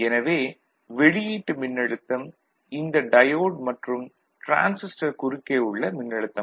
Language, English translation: Tamil, So, accordingly the output voltage will be drop across this diode, and drop across this transistor, this base emitter junction, ok